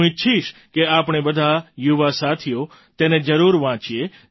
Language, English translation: Gujarati, I would want that all our young friends must read this